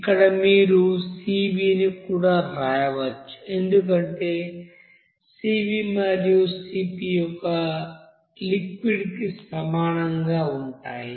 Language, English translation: Telugu, Here you can write Cv also no problem, because Cv and Cp will be same for liquid